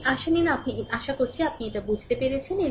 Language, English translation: Bengali, Now, take this hope you are understanding this right